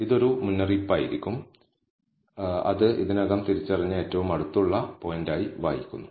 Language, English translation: Malayalam, It will be a warning, which reads as nearest point already identified